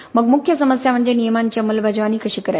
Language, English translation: Marathi, Then major problem is how do we implement the rules